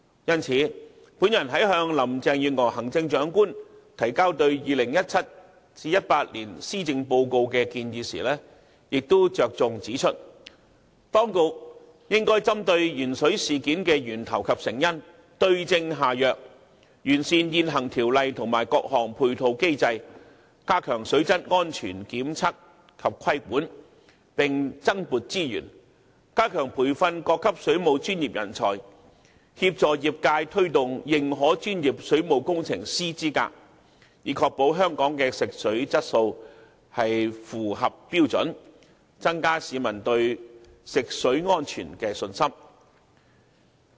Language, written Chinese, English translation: Cantonese, 因此，我在向行政長官林鄭月娥女士提交就 2017-2018 年度施政報告所作建議時亦重點指出，當局應針對鉛水事件的源頭及成因，對症下藥，完善現行條例及各項配套機制，以加強水質安全檢測及規管，並增撥資源，加強培訓各級水務專業人才，協助業界推動認可專業水務工程師資格，以確保香港的食水質素符合標準，增加市民對食水安全的信心。, Therefore in making recommendations in respect of Chief Executive Mrs Carrie LAMs Policy Address for 2017 - 2018 I have highlighted that the authorities should identify the origin and causes of the excess - lead - in - water incident so that right remedial steps can be taken to rectify the problem by perfecting the existing legislation and various complementary mechanisms to step up tests and regulation on the quality and safety of water supply . Besides it should allocate additional resources to enhance training for waterworks professionals at all levels and help promote the accreditation of professional waterworks engineers in the trade so as to ensure that the quality of drinking water in Hong Kong meets relevant standards . That will be conducive to enhancing public confidence in the safety of drinking water